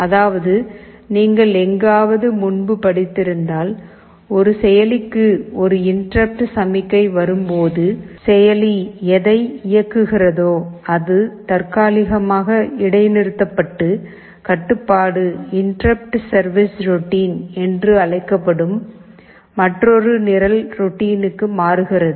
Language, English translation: Tamil, Means, if you have studied it earlier somewhere you know that when an interrupt signal comes to a processor, whatever the processor was executing is temporarily suspended and the control jumps to another program routine called interrupt service routine